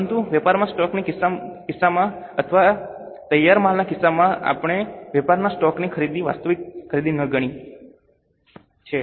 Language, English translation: Gujarati, But in case of stock in trade or in case of finished goods, we have considered purchase of stock in trade, not consume, actual purchase